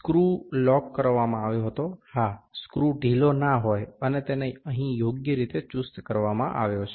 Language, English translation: Gujarati, The screw was locked, yeah the screw is not loosened and it is fixed properly here